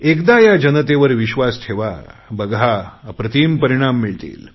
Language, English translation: Marathi, Once we place faith and trust in the people of India, we can get incomparable results